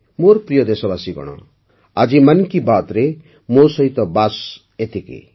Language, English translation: Odia, My dear countrymen, that's all with me today in 'Mann Ki Baat'